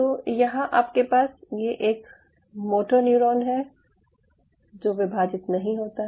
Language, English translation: Hindi, in this case it is a motor neuron which did not divide